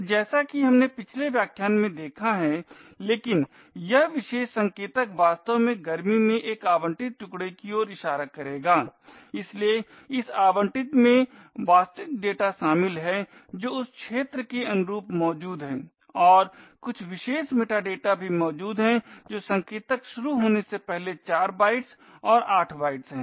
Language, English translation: Hindi, So as we have seen in the previous lecture but this particular pointer would be actually pointing to a allocated chunk in the heat, so this allocated chunk comprises of the actual data which is present corresponding to that region and also some particular metadata which is also present four bytes and eight bytes before the starting pointer ptr